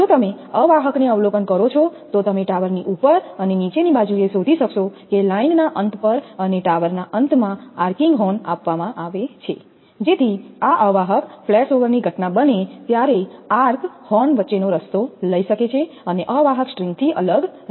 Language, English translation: Gujarati, If you observe the insulator, you will find on the top and bottom of the top and bottom right is provided with an arcing horn at the tower end on the tower side and the line end, so that the event of insulator flashover, the arc may take the path between the horns and stay clear of the insulator string